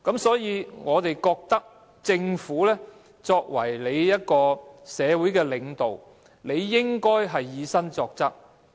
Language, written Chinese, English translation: Cantonese, 所以，我們認為政府作為社會領導，應該以身作則。, Therefore we hold that the Government being the leader of society should set an example for others to follow